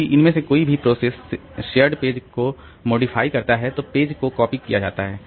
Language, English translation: Hindi, If either process modifies a shared page only then the page copied